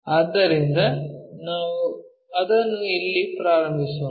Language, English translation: Kannada, So, let us begin it here